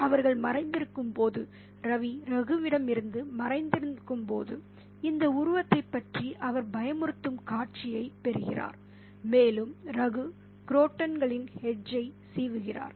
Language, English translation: Tamil, So, while they are hiding, while Ravi is hiding from Raghu, he gets a frightening glimpse of this figure and Raghu is combing the edge of the crotons